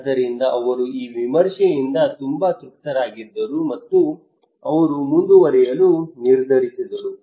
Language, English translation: Kannada, So he was very satisfied with this review and he decided to go forward